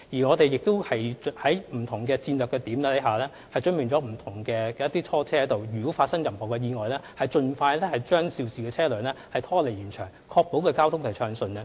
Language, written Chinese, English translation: Cantonese, 我們更已在不同的戰略點準備拖車，以便在發生意外時盡快將肇事車輛拖離現場，確保交通暢順。, We even have tow trucks standby at various strategic locations so that in case of accidents the vehicles involved can be removed from the scene quickly to ensure smooth traffic